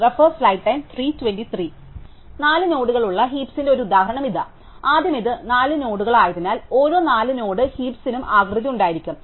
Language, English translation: Malayalam, So, here is an example of the heap with 4 nodes, so first because it is 4 nodes, every 4 node heap will have the shape